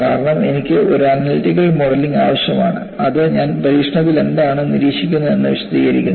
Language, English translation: Malayalam, Because, I need to have an analytical modeling, which explains, what I observed in experiment